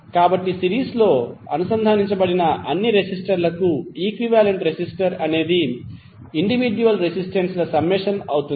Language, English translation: Telugu, So, equivalent resistance for any number of resistors connected in series would be the summation of individual resistances